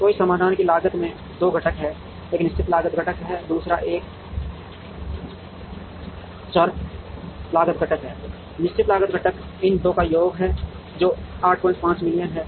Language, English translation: Hindi, So, the cost corresponding to this solution has 2 components, one is the fixed cost component, the other is a variable cost component, the fixed cost component is a sum of these 2, which is 8